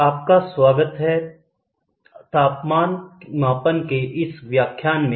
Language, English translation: Hindi, Welcome to the next lecture on Temperature Measurement